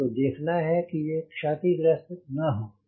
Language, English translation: Hindi, you need to see that there is no breakage